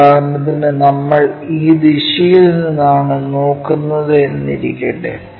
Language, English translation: Malayalam, For example, we are looking from this direction